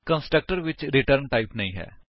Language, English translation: Punjabi, Constructor does not have a return type